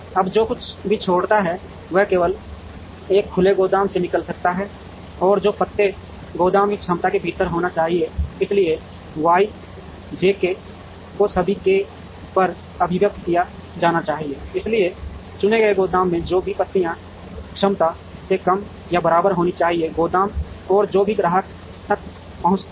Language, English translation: Hindi, Now, whatever leaves it can leave only from a opened warehouse and whatever leaves should be within the capacity of the warehouse, so Y j k summed over all k, so whatever leaves from a chosen warehouse should be less than or equal to the capacity of the warehouse and whatever reaches the customer